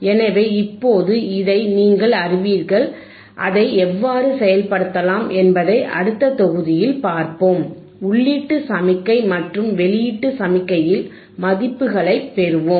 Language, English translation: Tamil, So now you have you know this, let us see in the next module how you can implement it, and let us get the values at the input signal and output signal